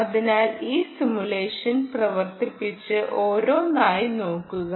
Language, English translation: Malayalam, so run this simulation and see, one by one, input